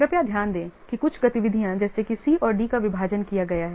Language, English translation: Hindi, Please note that some activities such as C and D have been split